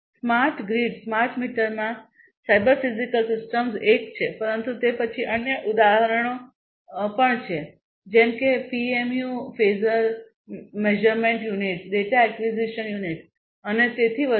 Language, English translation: Gujarati, So, cyber physical systems in smart grid smart meters is one, but then there are other examples also like PMUs Phasor Measurement Units, Data Acquisition Unit, and so on